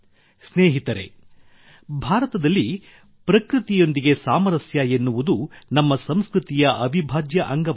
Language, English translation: Kannada, Friends, in India harmony with nature has been an integral part of our culture